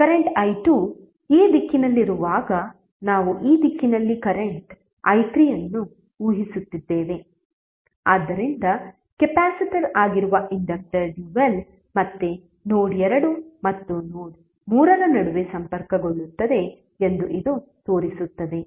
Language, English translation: Kannada, Because we are assuming current i3 in this direction while current i2 would be in this direction, so this will show that the inductor dual that is capacitor again would be connected between node 2 and node3